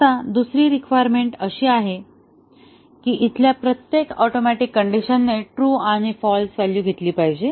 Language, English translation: Marathi, Now, the second requirement is that every atomic condition here should take true and false value